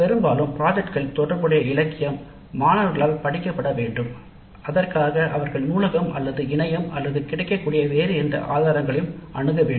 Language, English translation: Tamil, Quite often the literature related to the project has to be studied by the students and for that sake they have to either consult the library or internet or any other resources available